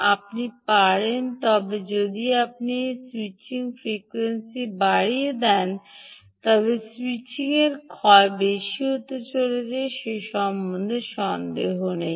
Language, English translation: Bengali, but if you increase the switching frequency, the, the switching losses are going to be high